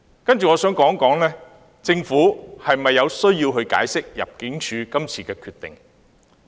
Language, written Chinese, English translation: Cantonese, 接着我想談政府是否有需要解釋入境處今次的決定。, Now I would like to discuss whether a government explanation is necessary for ImmDs decision